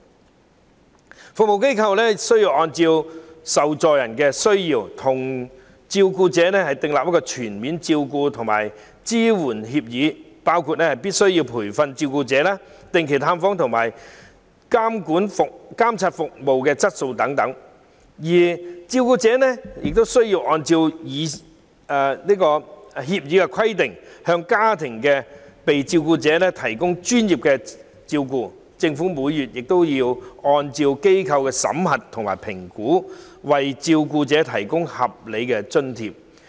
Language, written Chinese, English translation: Cantonese, 專業服務機構須按被照顧者的需要，與照顧者訂立全面照顧及支援協議，當中包括必須培訓照顧者、定期進行探訪和監察服務質素等的條款；照顧者則須按協議規定，向被照顧者提供專業照顧；而政府亦須按照服務機構的審核及評估，每月為照顧者提供合理津貼。, The professional service organization should enter into a comprehensive care and support agreement with the carer based on the carers needs which must include the terms of offering training to the carer paying regular visits and monitoring of service quality . On the carers part he or she should provide professional care to the subjects being cared for in accordance with the agreement . As to the Government it should provide the carer with a monthly allowance of reasonable amount based on the performance review and assessment done by the professional service organization